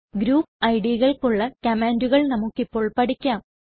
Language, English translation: Malayalam, Let us now learn the commands for Group IDs